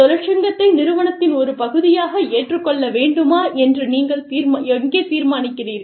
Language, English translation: Tamil, Where do you decide, whether the union should be accepted, as a part of the organization